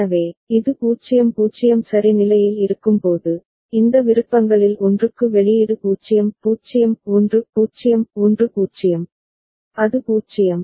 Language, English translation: Tamil, So, when it is at state 0 0 ok, for either of these options the output is 0; 0 1 – 0; 1 0, it is 0